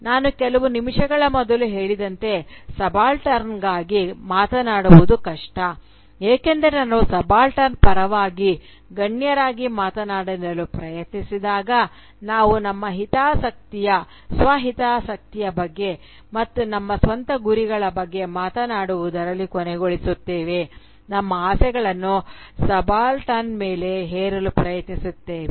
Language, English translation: Kannada, As I was just saying a few minutes before, that it is difficult to speak for the subaltern because when we try to speak for the subaltern as elites, we often end up speaking about our own self interest, and about our own self goals, about our desires and we tend to impose those desires on to the Subaltern